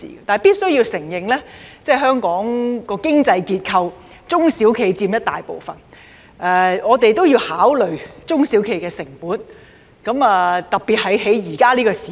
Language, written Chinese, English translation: Cantonese, 但是，必須承認的是，在香港的經濟結構中，中小企佔很大部分，我們須考慮中小企的成本，特別是現在這個時候。, Nevertheless we have to admit that SMEs account for a significant share in the economic structure of Hong Kong . We must consider the cost implications to SMEs especially in these days